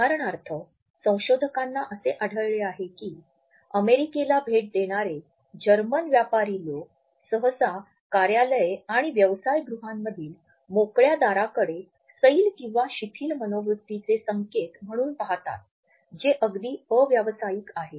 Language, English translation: Marathi, For example, researchers have found that German business people visiting the US often look at the open doors in offices and business houses as an indication of a relaxed attitude which is even almost unbusiness like